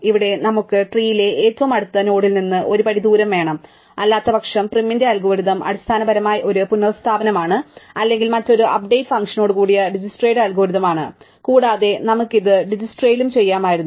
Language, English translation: Malayalam, Here we want one step distance from the nearest node in the tree, but otherwise prim's algorithm is basically a restatement or Dijkstra's algorithm with a different update function and additionally we have this thing that we could have done it in Dijkstra's also